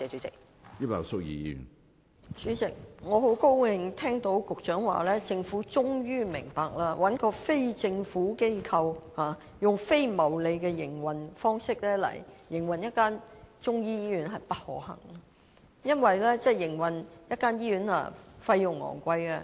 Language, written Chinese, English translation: Cantonese, 主席，我很高興聽到局長說，政府終於明白，找非政府機構以非牟利的營運方式來營運一間中醫醫院是不可行的，因為營運一間醫院費用很高昂。, President I am very glad to learn from the Secretary that the Government has finally realized the impossibility of leaving a non - governmental organization NGO to operate a Chinese medicine hospital on a non - profit - making basis . The cost of operating a hospital is very high